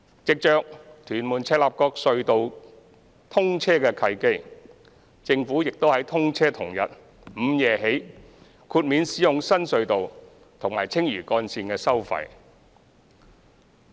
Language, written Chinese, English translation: Cantonese, 藉着屯門—赤鱲角隧道通車的契機，政府亦於通車同日午夜起豁免使用新隧道和青嶼幹線的收費。, Seizing the opportunity created by the commissioning of the Tuen Mun - Chek Lap Kok Tunnel the Government has since midnight on the day of commissioning waived the tolls of the new tunnel and the Lantau Link